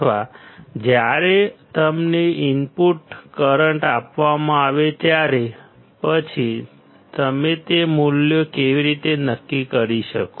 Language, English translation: Gujarati, Or input currents when you are given then how can you determine those values